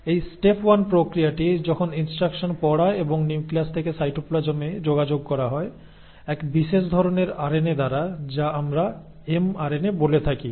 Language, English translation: Bengali, Now, this process, the step 1 in which the instructions are read and are communicated from the nucleus into the cytoplasm by one specific kind of RNA which we call as the mRNA